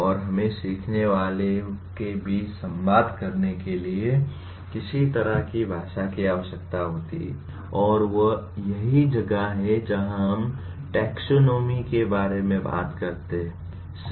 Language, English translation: Hindi, And we require some kind of a language to communicate between the learners and that is where we talk about the taxonomy